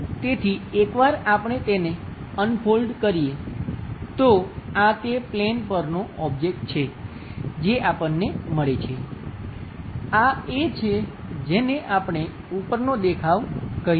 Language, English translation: Gujarati, So, once we unfold that, so this is the object on that plane, what we get; this one; that one what we call this top view